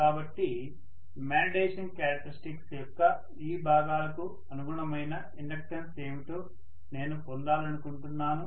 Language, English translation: Telugu, So I want to get what is the inductance corresponding to these portions of the magnetization characteristics